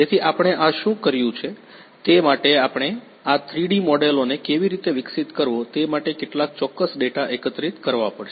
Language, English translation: Gujarati, So, what we did is for this we have to collect some particular data how to develop these 3D models